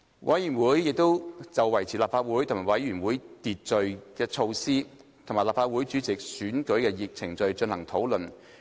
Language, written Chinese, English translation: Cantonese, 委員會亦就維持立法會和委員會會議秩序的措施，以及立法會主席選舉的程序，進行討論。, The Committee also discussed measures to maintain order in Council and committee meetings and procedures for election of the President